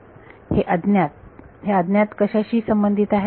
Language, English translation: Marathi, These unknowns are unknowns corresponding to what